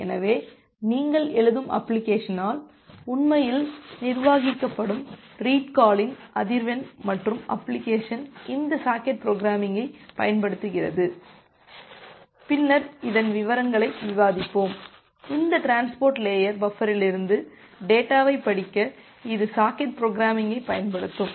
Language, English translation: Tamil, So, the frequency of the read call that is actually managed by the application which you are writing and the application is using this socket programming that we will discuss later in details; it will use the socket programming to read the data from this transport layer buffer